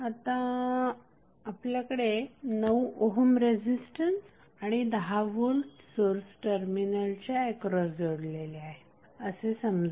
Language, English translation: Marathi, So, now suppose we have load of 9 ohm resistance and 10 ohm voltage connected across the terminal so what happens